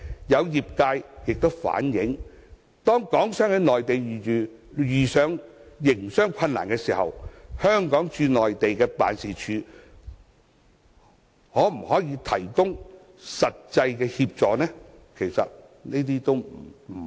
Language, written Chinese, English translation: Cantonese, 有業界亦反映，當港商在內地遇上營商困難時，香港駐內地的辦事處可以提供的協助不多。, According to some industry players the Hong Kong SAR Offices in the Mainland cannot provide much assistance to them when they encounter operational problems in the Mainland